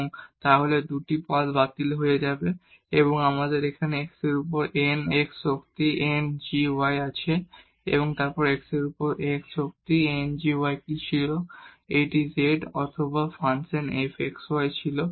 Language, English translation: Bengali, And, then these 2 terms will get cancelled and we have here n x power n g y over x and what was x power n g y over x this was z or the function f x y